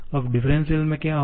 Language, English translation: Hindi, Now, what will be going into the differentials